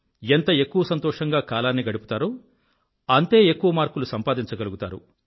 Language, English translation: Telugu, The more time these days you will spend being happy, the more will be the number of marks you will earn